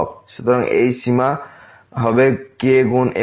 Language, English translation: Bengali, So, this limit will be times